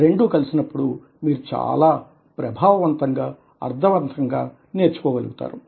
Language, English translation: Telugu, when both these things are combined, then you are able to learn very effectively, very, very meaningfully